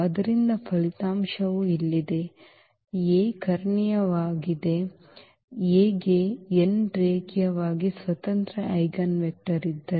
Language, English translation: Kannada, So, the result is here A is diagonalizable, if A has n linearly independent eigenvector